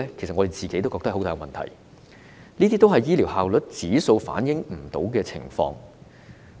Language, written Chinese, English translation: Cantonese, 我們都知道有這些問題，但醫療效率指數未能反映有關的情況。, We are aware of these problems but the health care efficiency index fails to reflect the relevant situation